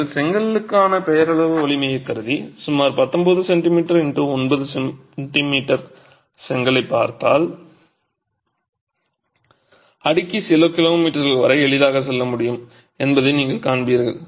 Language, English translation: Tamil, You will see that if you assume a nominal strength for the brick and look at a brick that is about 19 cm or 9 centimeters, the stack can easily go for a few kilometers